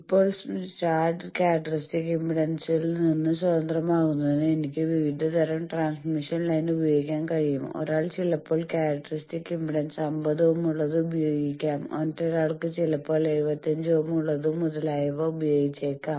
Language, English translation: Malayalam, Now, to make the chart independent of characteristic impedance because I can using various type of transmission line, someone is using some with characteristic impedance 50 ohm, someone else may use it with 75 ohm etcetera